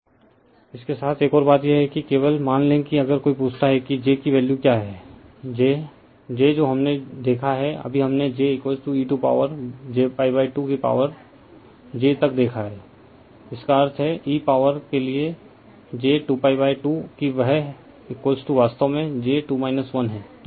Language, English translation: Hindi, Another thing is with that only suppose if somebody ask you , that your what is the value of j to the power j , j we have seen , just now we have seen j is equal to e to the power j pi by 2 to the power j; that means, e to the power , j square pi by 2 right that that is is equal to actually j square is minus 1